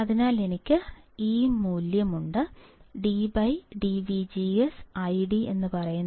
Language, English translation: Malayalam, So, I have value d by d I D by d V G S equals to C times V G S minus C